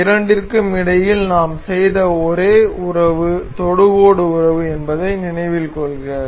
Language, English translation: Tamil, Note that the only relation we have made between these two are the tangent relation